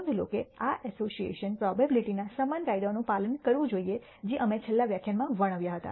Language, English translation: Gujarati, Notice that this association should follow the same laws of probability that we described in the last lecture